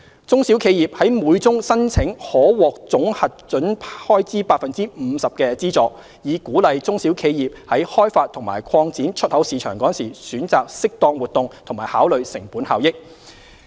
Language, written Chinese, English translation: Cantonese, 中小企業在每宗申請可獲總核准開支 50% 的資助，以鼓勵中小企業於開發及擴展出口市場時選擇適當活動及考慮成本效益。, The maximum amount of grant that SMEs can receive per application under EMF is 50 % of the total approved expenditure with a view to encouraging SMEs to consider the appropriateness and cost - effectiveness of the promotion activities while exploring and developing export markets